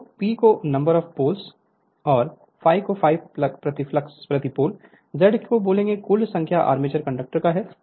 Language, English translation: Hindi, So, let P is the number of poles, and phi is equal to flux per pole, Z is equal to total number armature conductors